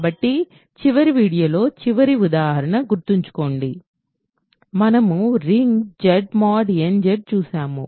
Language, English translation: Telugu, So, remember in the last example last video, we looked at the ring Z mod n Z right